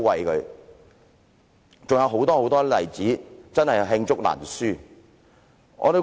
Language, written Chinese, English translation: Cantonese, 還有很多很多例子，真是罄竹難書。, There are many more such examples and the list is really inexhaustible